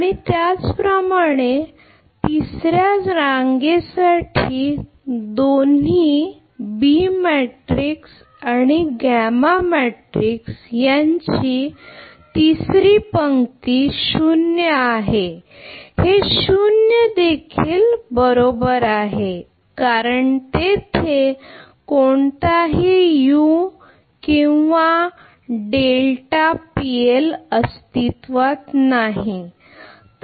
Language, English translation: Marathi, And similarly for the third row both your this is B matrix this is gamma matrix third row this is 0 this is also 0 right because no u are delta PL is involved there next is your x 4 dot